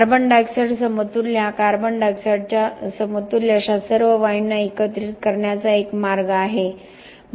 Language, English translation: Marathi, The carbon dioxide equivalent is a way of lumping together all such gasses in terms of a equivalent of carbon dioxide